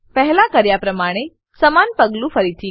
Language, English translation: Gujarati, Repeat the same step as before